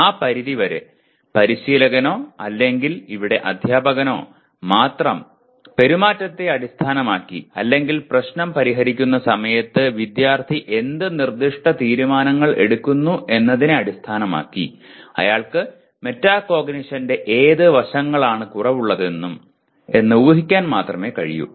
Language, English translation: Malayalam, And to that extent the only coach or here the teacher based on the behavior or actually based on what specific decisions the student is making at the time of solving the problem he only can guess whether to on what aspects of metacognition he is deficient and give feedback accordingly